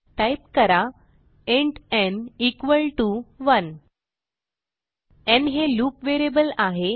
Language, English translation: Marathi, Type int n equalto 1 n is going to be loop variable